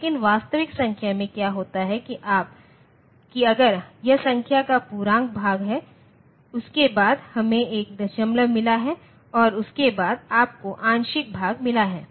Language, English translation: Hindi, But in real number what happens is, that if this is the integer part of the number, after that we have got a decimal and after that you have got the fractional part